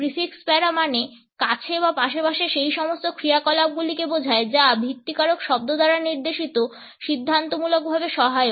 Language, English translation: Bengali, The prefix para means beside or side by side and denotes those activities which are auxiliary to a derivative of that which is denoted by the base word